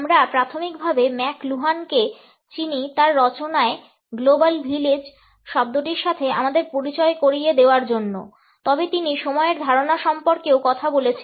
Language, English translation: Bengali, We primarily know McLuhan for introducing us to the term global village in his works, but he has also talked about the concept of time